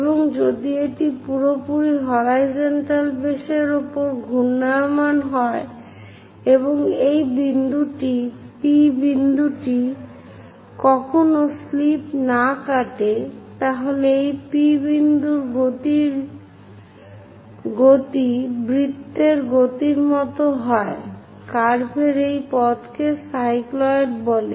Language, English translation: Bengali, And if the circle is rolling on a flat horizontal base, if it is rolling on these perfectly horizontal base and this P point never slips, then the motion of this P point as circle rolls whatever the curve tracked by that we call it as cycloid